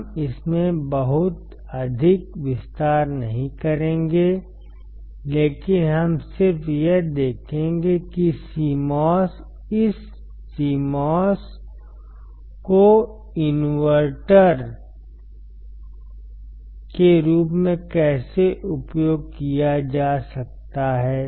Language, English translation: Hindi, We will not go too much detail into this, but we will just see how this CMOS can be used as an invertor